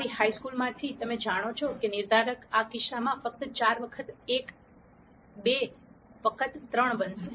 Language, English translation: Gujarati, From your high school, you know the determinant is going to be in this case simply 4 times 1 minus 2 times 3